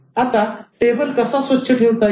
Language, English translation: Marathi, Now how to keep the table clean